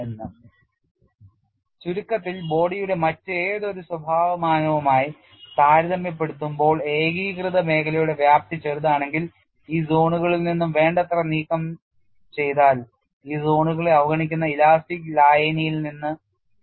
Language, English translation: Malayalam, And in summary what you find is, if the extent of the cohesive zone is small compared the any other characteristic dimension of the body, then sufficiently removed from these zones the deformation field will differ only very slightly from the elastic solution that ignores these zones